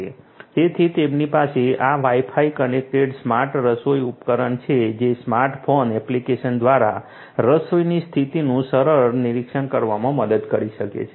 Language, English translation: Gujarati, So, they have this Wi Fi connected smart cooking device that can help in easy monitoring of the cooking status via the smart phone app